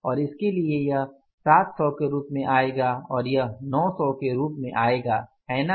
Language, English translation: Hindi, This is 800 given to us and for this this will come up as 700s and this will come up as 900s